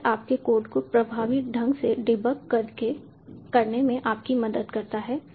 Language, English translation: Hindi, so it helps you in debugging your code effectively